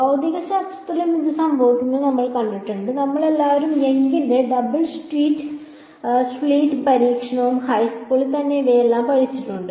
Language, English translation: Malayalam, In physics also we have seen this happen all of us have studied Young’s Double Slit experiment and all of these things in high school right